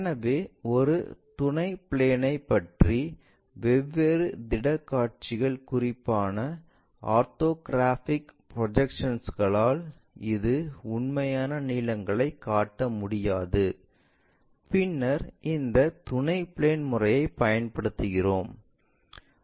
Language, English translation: Tamil, So, about a auxiliary planes, when different projectional views especially orthographic projections this could not show true lengths then we employ this auxiliary plane method